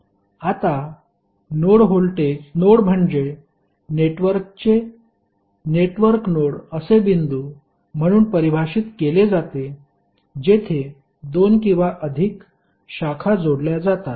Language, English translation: Marathi, Now, node is the network node of a network is defined as a point where two or more branches are joined